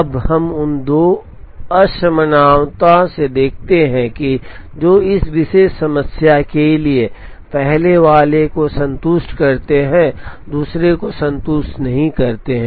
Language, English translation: Hindi, Now, out of the two inequalites we observe that, for this particular problem, the first one is satisfied, the second one is not satisfied